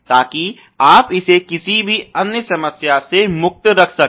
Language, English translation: Hindi, So, that you can keep it free of rest any other problems